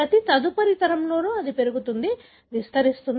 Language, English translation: Telugu, In every subsequent generation it increases, expands